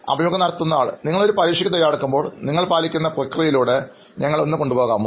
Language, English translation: Malayalam, Can you just take us through what process you follow when you are preparing for an exam